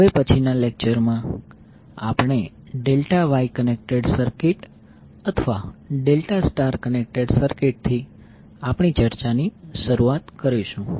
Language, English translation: Gujarati, So in the next lecture we will start our discussion with the delta Wye connected circuit or delta star connected circuit